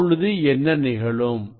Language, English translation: Tamil, What will happen